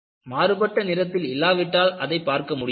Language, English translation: Tamil, You cannot view it, unless you have a contrast in color